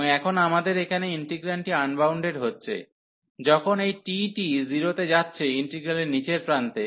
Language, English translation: Bengali, And now our integrand here is getting unbounded, when this t is going to 0, so at the lower end of the integral